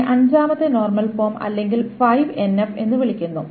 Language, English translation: Malayalam, This is called the fifth normal form or 5NF in a similar manner